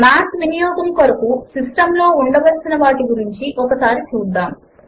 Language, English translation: Telugu, Let us look at the System requirements for using Math